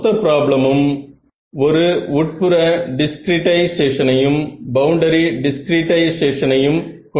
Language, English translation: Tamil, In the total problem, the total problem has a interior discretization as well as boundary discretization; interior discretization